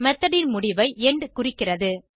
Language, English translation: Tamil, end marks the end of method